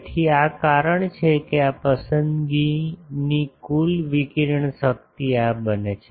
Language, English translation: Gujarati, So, this is the reason the total radiated power for this choice becomes this